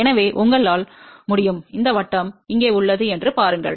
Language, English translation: Tamil, So, you can see there is a this circle here